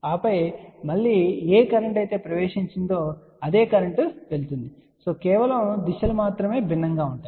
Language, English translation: Telugu, And then again whatever is the current coming in the same current is going just the directions are different